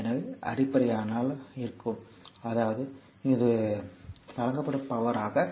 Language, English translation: Tamil, So, if it is so; that means, it is power